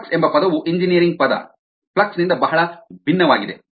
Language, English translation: Kannada, the term flux is very different from the engineering term flux